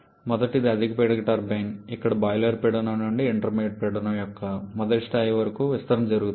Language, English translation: Telugu, The first one is the high pressure turbine ,where the expansion takes place from boiler pressure to first level of intermediate pressure